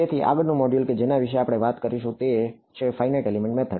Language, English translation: Gujarati, So the next module that we will talk about is the Finite Element Method ok